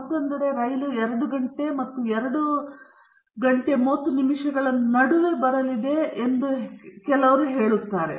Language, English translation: Kannada, On the other hand, there may be some people who may say that the train is going to come between 2 pm and 2:30 pm